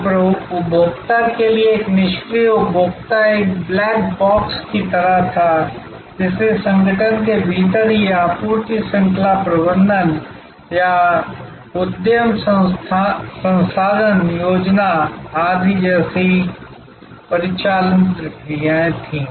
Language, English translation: Hindi, So, to the consumer, a passive consumer that was kind of a black box, so the organisation within itself had operational processes like supply chain management or enterprise resource planning, etc